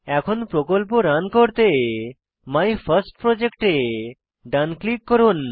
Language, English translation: Bengali, Now, to run this project, right click on MyFirstProject